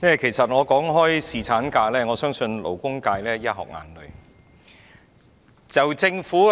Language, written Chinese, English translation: Cantonese, 主席，談到侍產假，我相信勞工界會"一殼眼淚"。, President I believe the labour sector will be tearful when it comes to paternity leave